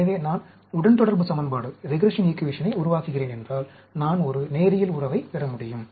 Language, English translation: Tamil, So, if I am generating regression equation, I can get a linear relation